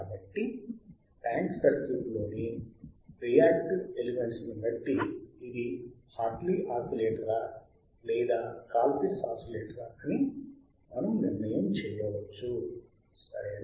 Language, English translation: Telugu, So, depending on the reactances elements in the tank circuit;, we can determine whether it is L Hartley oscillator or Colpitt’s oscillator ok